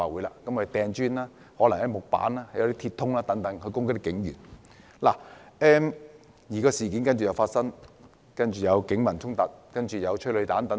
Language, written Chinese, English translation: Cantonese, 他們投擲磚塊、木板及鐵通等物件攻擊警員，事件隨而惡化，開始發生警民衝突和發射催淚彈。, They hurled bricks wooden planks and metal poles etc . at police officers . The incident then aggravated resulting in conflicts between the Police and the public and the firing of tear gas rounds